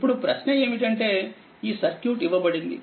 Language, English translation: Telugu, Now, question is it is given your this circuit is given